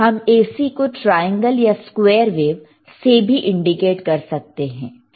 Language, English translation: Hindi, We can also indicate AC by a triangle or by square wave